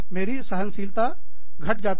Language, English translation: Hindi, My tolerance levels, could go down